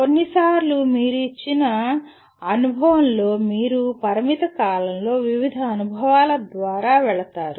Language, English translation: Telugu, Sometimes you in a given experience you will go through various experiences in a limited period